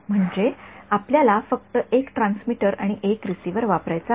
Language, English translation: Marathi, That means, you just want to use one transmitter and receiver